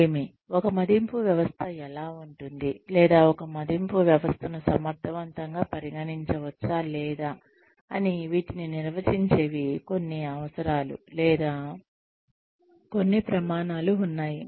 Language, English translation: Telugu, There are some needs, or some criteria, that define, what, how an appraisal system can be, or whether an appraisal system can be considered, as effective or not